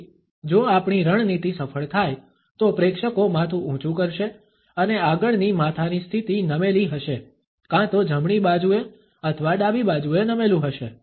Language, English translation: Gujarati, So, if our tactics are successful, the audience would be able to raise up the head and the next head position would be a tilt, either the right hand or a left hand tilt